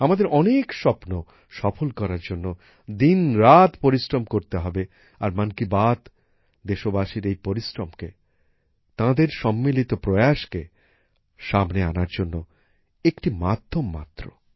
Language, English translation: Bengali, We have to work day and night to make their dreams come true and 'Mann Ki Baat' is just the medium to bring this hard work and collective efforts of the countrymen to the fore